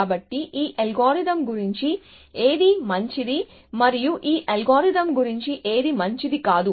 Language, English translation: Telugu, So, what is good about this algorithm and what is not good about this algorithm